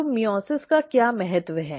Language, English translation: Hindi, So, what is the importance of meiosis